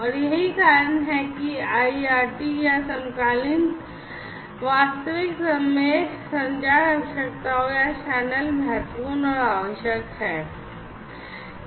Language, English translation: Hindi, And, that is why this IRT or the; I soaked isochronous real time communication requirements or these channels are important and required